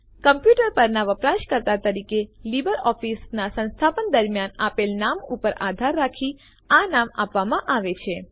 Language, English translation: Gujarati, The name is provided based on the name given during installation of LibreOffice as the user on the computer